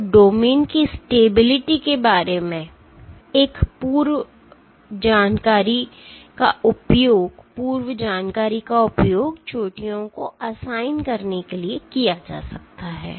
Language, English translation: Hindi, So, a priori information, a priori information about domain stabilities may be used for assignment, assigning peaks